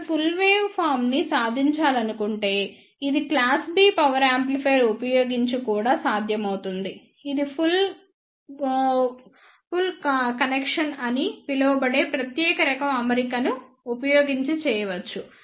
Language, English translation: Telugu, Now, if one want to achieve the complete wave form this is also possible using class B power amplifier this can be made using the special type of arrangement that is known as push pull connection